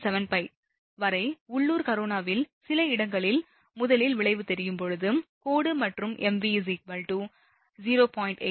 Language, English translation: Tamil, 75, for local corona when the effect is first visible at some places, along the line and mv is equal to 0